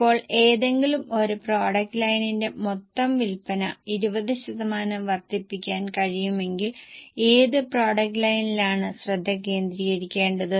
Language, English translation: Malayalam, Now which product line should be focused if total sales can be increased by 20% for any one of the product lines